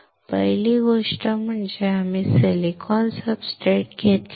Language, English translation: Marathi, First thing we have done is we have taken a silicon substrate